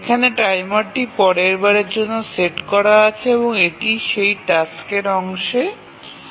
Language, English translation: Bengali, So, here the timer is set for the next time and that is the time that the task takes